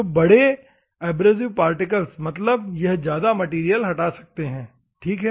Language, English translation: Hindi, So, bigger particle means it can remove more material, ok